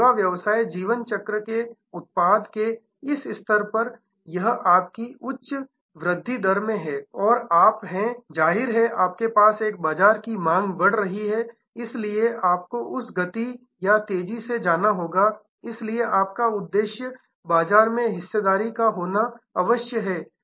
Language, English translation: Hindi, So, at this stage of the product of the service business life cycle your it is in high great growth stage and you are; obviously, you have a the market demand is increasing, so you have to go at that pace or faster, so your market share objective will have to be there